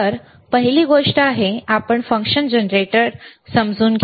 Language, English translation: Marathi, So, first thing is, you understand the function generator, very good